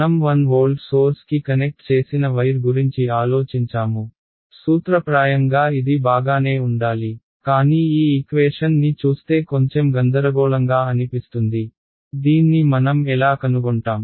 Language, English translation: Telugu, It seems like, I mean think of a wire I connected to a 1 volt source, in principle that should be alright, but looking at this equation it seems a little confusing, how will we find this